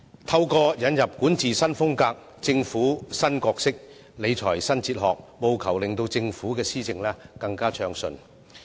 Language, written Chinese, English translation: Cantonese, 透過管治新風格、政府新角色、理財新哲學，務求令政府的施政更暢順。, With a new style of governance the new roles of the Government and a new fiscal philosophy to manage our finances she aims to ensure smoother governance for the Government